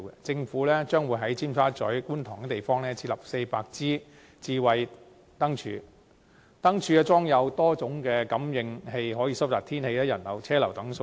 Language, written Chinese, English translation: Cantonese, 政府將會在尖沙咀、觀塘等地設立400支智慧燈柱，燈柱裝有多功能感應器，可以收集天氣、人流、車流等數據。, The Government will install 400 lampposts in such districts as Tsim Sha Tsui and Kwun Tong . Equipped with multi - functional sensors these lampposts can collect such data as weather pedestrian and traffic flows